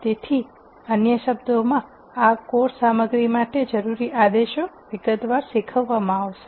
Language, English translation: Gujarati, So, in other words commands that are required for this course material will be dealt in sufficient detail